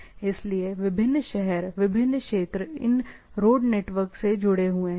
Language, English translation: Hindi, So, different cities, different regions are connected by these road networks